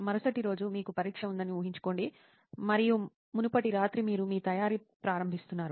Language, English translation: Telugu, Imagine you have an examination the next day and just previous night you are starting your preparation